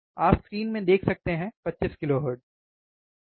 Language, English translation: Hindi, You can see in the screen 25 kilohertz, correct